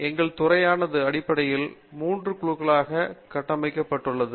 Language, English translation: Tamil, Our department is basically kind of structured into 3 groups